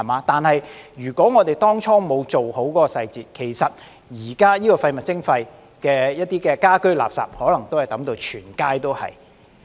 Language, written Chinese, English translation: Cantonese, 不過，如果我們當初沒有做好細節，就像現時推行廢物徵費時，一些家居垃圾也可能會被丟到滿街也是。, However if we fail to handle the details properly in the first place as in the present case of implementing waste charging domestic waste may also be dumped all over the streets